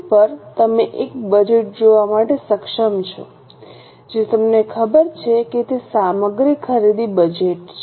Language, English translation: Gujarati, On the screen you are able to see one budget I know, that is material purchase budget